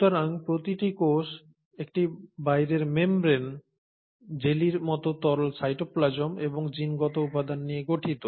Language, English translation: Bengali, So each cell consists of an outer boundary, the outer membrane, the jellylike fluid called the cytoplasm and the genetic material within the cell